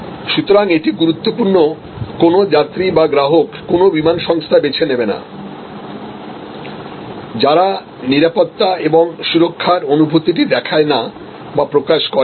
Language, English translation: Bengali, So, it is important, no passenger, no customer will choose an airline, which does not portray does not convey that sense of security and safety